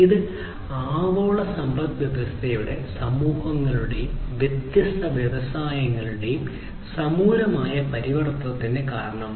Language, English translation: Malayalam, And this basically has resulted in the radical transformation of the global economies, the societies, and the different industries